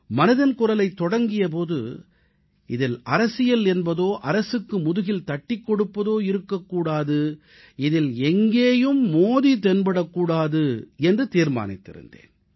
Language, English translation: Tamil, When 'Mann Ki Baat' commenced, I had firmly decided that it would carry nothing political, or any praise for the Government, nor Modi for that matter anywhere